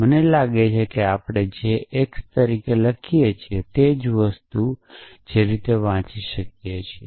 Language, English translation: Gujarati, I think which we can also read as write as x which is the same thing